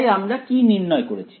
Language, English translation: Bengali, So, what we derived